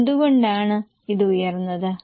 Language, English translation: Malayalam, Why has it gone up